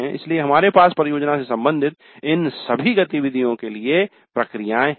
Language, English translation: Hindi, So we have processes for all these activities related to the projects